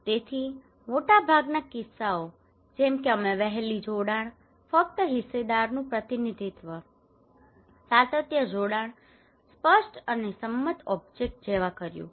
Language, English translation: Gujarati, So most of the cases we did very well like early engagement, representation of just stakeholder, continuity engagements clear and agreed object